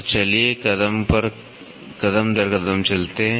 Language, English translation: Hindi, So, let us go step by step